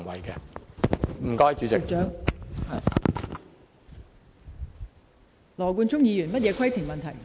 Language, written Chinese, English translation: Cantonese, 羅冠聰議員，你有甚麼規程問題？, Mr Nathan LAW what is your point of order?